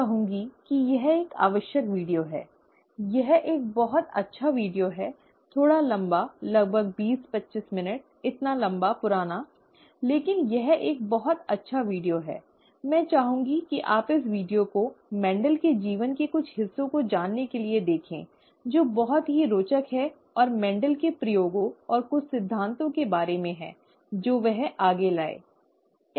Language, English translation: Hindi, I would I would say it is a required video; it is a very nice video, slightly long, about twenty, twenty five minutes; so long, old, but it is a very nice video, okay, I would like you to watch this video to know some parts of Mendel’s life, which is very interesting and Mendel’s experiments and some of the principles that he brought forward, okay